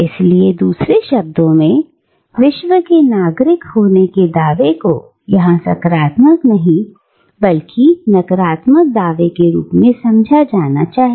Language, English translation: Hindi, So, in other words, the claim of being a citizen of the World, is to be understood here as a negative claim, rather than a positive one